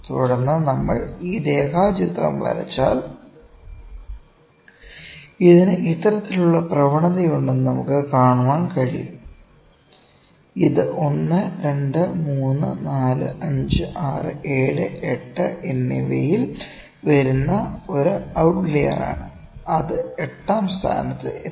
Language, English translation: Malayalam, Then, if we draw this line diagram, we can see that and if we draw this line diagram, we can see that it is having this kind of trend, this is one outlier that has come 1, 2, 3, 4, 5, 6, 7, and 8; that has come at eighth location, ok